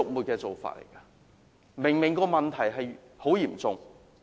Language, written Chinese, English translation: Cantonese, "假難民"的問題明明很嚴重。, It is obvious that the problem of bogus refugees is very serious